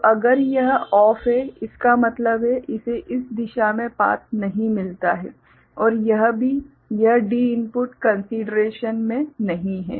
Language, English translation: Hindi, So, if this is OFF means, this does not get a path in this direction so, and also this D input is not in consideration